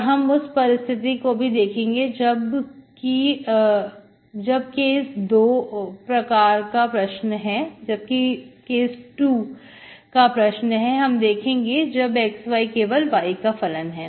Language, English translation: Hindi, 1st we will see when, when in case 2, we will see mu xY is only function of y